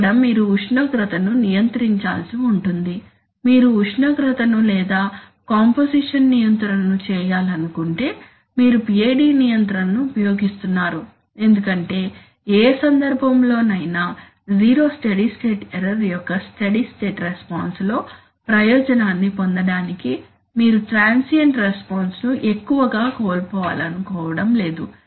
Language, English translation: Telugu, Where you have to control temperature then, you temperature or composition control that is why you use PID control because in any case you do not want to lose out too much on the transient response to gain the advantage in the steady state response of zero steady state error